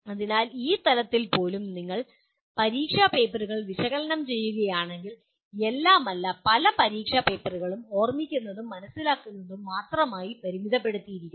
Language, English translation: Malayalam, so even at this level, if you analyze the examination papers, many not all, many examination papers are confined to Remember and Understand